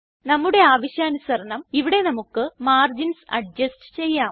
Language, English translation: Malayalam, Here,we can adjust the margins as required